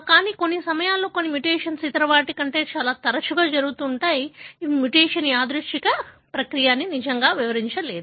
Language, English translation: Telugu, But there are, at times some mutation that are more frequent than the other, that really does not explain that the mutation could be a random process